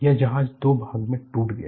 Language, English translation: Hindi, This ship broke into two